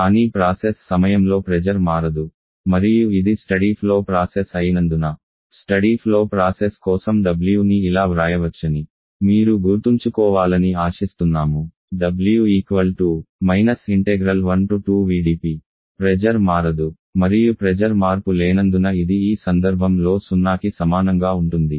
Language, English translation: Telugu, But as the pressure is not changing during the process and this being a steady flow process I hope you remember that for a steady flow process w can be written as integral minus v dP from state 1 to state 2 another is no pressure change this can be equal to zero in this particular situation